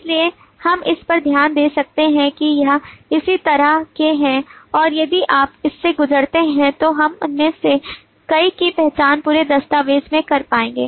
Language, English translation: Hindi, so we can make a note of this all of this are of that kind and if you go through we will be able to identify many of them in the whole document